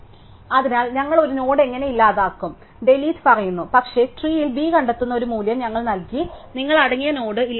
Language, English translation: Malayalam, So, how do we delete a node, so with delete says, but we given a value v which we find v in the tree, you must delete the node containing